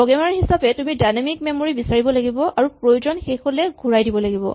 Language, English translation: Assamese, You have to, as a programmer, ask for dynamic memory and more importantly when you are no longer using it, return it back